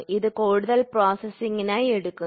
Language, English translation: Malayalam, So, that is taken for further processing